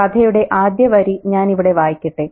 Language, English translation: Malayalam, And let me read the very first line here of the story